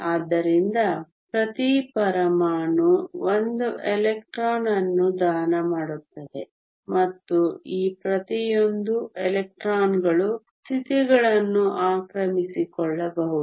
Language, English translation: Kannada, So, each atom will donate 1 electron and each of these electrons can occupy the states